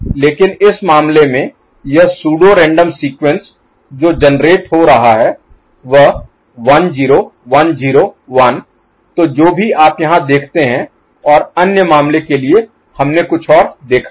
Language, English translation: Hindi, But in this case this pseudo random sequence that is getting generated is 1 0 1 0 1… so, whatever you see over here and for the other case we saw something else, ok